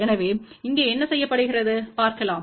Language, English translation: Tamil, So, what is done over here let us see